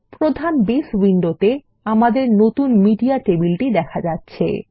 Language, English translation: Bengali, In the main Base window, there is our new Media table